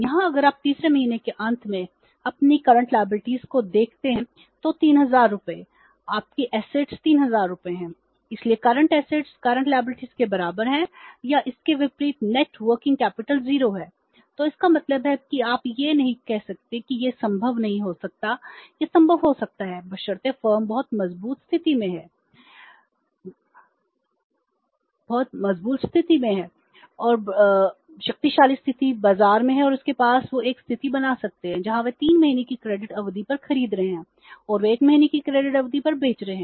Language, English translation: Hindi, So it means you can say that this cannot be possible, this is possible it can be done provided the firm is having very strength of position, mighty position in the market and they can have a or they can create a situation where they are buying on a credit period of three months and they are selling on a credit period of one month